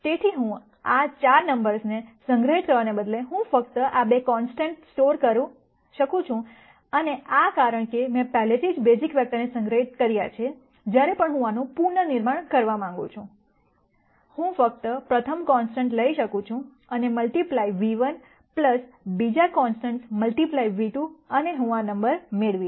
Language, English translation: Gujarati, So, instead of storing these 4 numbers, I could simply store these 2 constants and since I already have stored the basis vectors, whenever I want to reconstruct this, I can simply take the first constant and multiply v 1 plus the second constant multiply v 2 and I will get this number